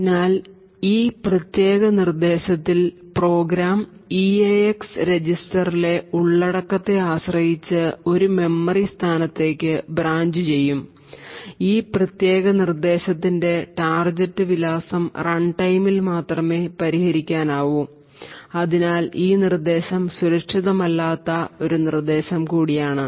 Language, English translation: Malayalam, So, in this particular instruction the program would branch to a memory location depending on the contents of the eax register, the target address for this particular instruction can be only resolved at runtime and therefore this instruction is also an unsafe instruction